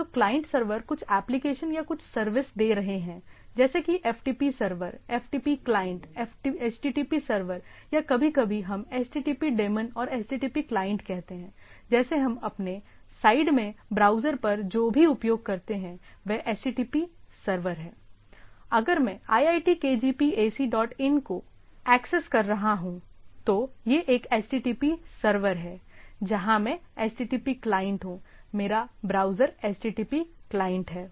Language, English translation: Hindi, So, client servers are serving for some application or something, like there is a FTP server, FTP client; HTTP server or sometimes we say HTTP daemon and HTTP client, like what we use on the browser at my end is HTTP server, if I accessing “iitkgp ac dot in”, so, it is a HTTP server is there from, I am a HTTP client, my browser is HTTP client